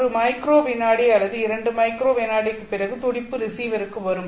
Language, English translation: Tamil, I mean you have sent a pulse now after one microsecond or two microsecond the pulse would arrive at the receiver